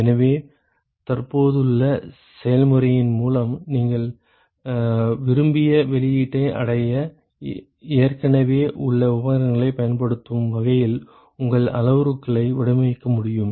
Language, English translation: Tamil, So, with the existing process you should be able to design your parameters such that you can use the existing equipment in order to achieve the desired output